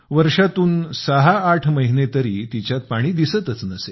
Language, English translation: Marathi, 6 to 8 months a year, no water was even visible there